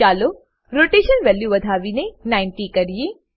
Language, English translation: Gujarati, Let us increase the Rotation value to 90